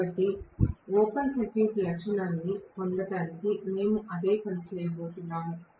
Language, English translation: Telugu, So, we are going to do the same thing for getting the open circuit characteristic